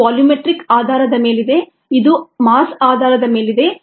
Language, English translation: Kannada, this is on a ah, this is on a volumetric basis, this is on a mass basis